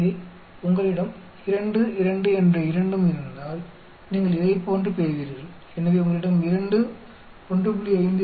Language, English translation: Tamil, So, if you have both 2, 2 you get like this, so if you have 2, 1